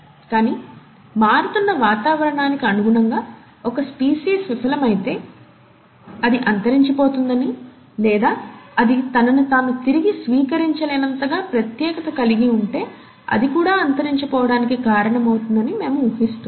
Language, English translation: Telugu, But, we speculate that if a species fails to adapt itself to a changing environment, it's going to become extinct, or if it specializes to such a point that it cannot re adapt itself, then also it can undergo a cause of extinction